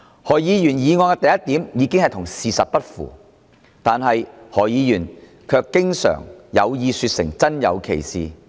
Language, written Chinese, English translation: Cantonese, 何議員議案的第一點已經與事實不符，但何議員卻經常有意說成真有其事。, Point one in Dr HOs motion is already in contradiction with the facts . But more often than not Dr HO has deliberately talked about it as real